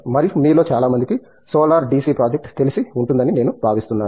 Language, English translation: Telugu, And, I think many of you might know the solar DC project